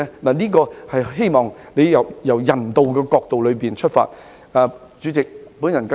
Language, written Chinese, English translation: Cantonese, 我希望政府可從人道角度出發，考慮這項建議。, I hope that the Government can consider this proposal from a humanitarian perspective